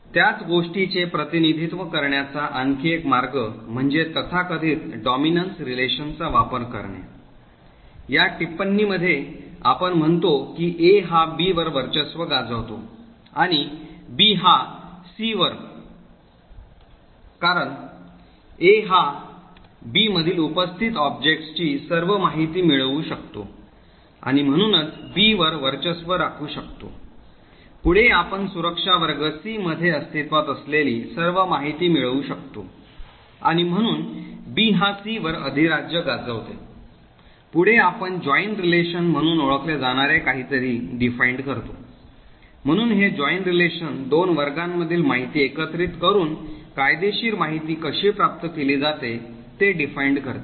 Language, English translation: Marathi, Another way of representing the same thing is by using this so called dominance relation, in this notation what we say is that A dominates B and B dominates C, this is because A can obtain all the information of objects present in B and therefore A dominates B, further we can obtain all the information present in security class C and therefore B dominates C, further we also define something known as the join relation, so this join relation defines how legal information obtained by combining information from two classes